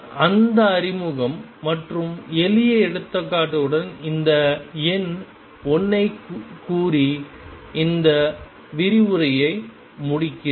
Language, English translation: Tamil, With that introduction and simple example I conclude this lecture by stating that number 1